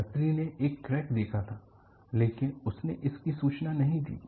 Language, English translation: Hindi, So, the passenger had noticed a crack, but he has not reported it